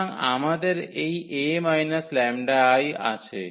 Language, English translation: Bengali, So, we have this A minus lambda I